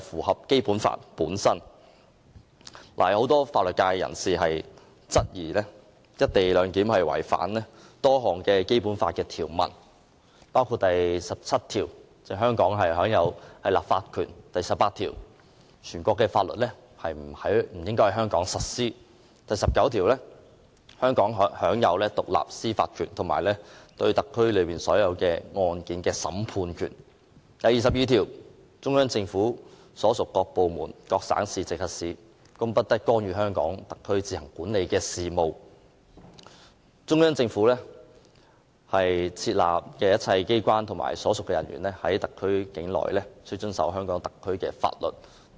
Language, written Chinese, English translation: Cantonese, 很多法律界人士均質疑"一地兩檢"安排違反《基本法》多項條文，包括第十七條，香港特區享有立法權；第十八條，全國性法律不應在香港實施；第十九條，香港特區享有獨立的司法權，以及對特區所有案件的審判權；第二十二條，中央人民政府所屬各部門、各省、直轄市均不得干預香港特區自行管理的事務，以及中央在香港特區設立的一切機構及其人員均須遵守香港特區的法律等。, Many people from the legal sector have queries about the co - location arrangement thinking that it actually contravenes a number of Basic Law provisions Article 17 which provides that the Hong Kong Special Administrative Region HKSAR shall be vested with legislative power; Article 18 which provides that national laws shall not be applied in Hong Kong; Article 19 which provides that HKSAR shall be vested with independent judicial power and the courts of HKSAR shall have jurisdiction over all cases in the Region; and Article 22 which provides that no department of the Central Peoples Government and no province or municipality directly under the Central Government may interfere in the affairs which HKSAR administers on its own and all offices set up in HKSAR by the Central Government and the personnel of these offices shall abide by the laws of the Region